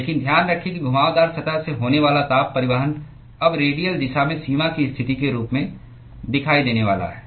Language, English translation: Hindi, But keep in mind that the heat transport that is occurring from the curved surface is now going to appear as a boundary condition in the radial direction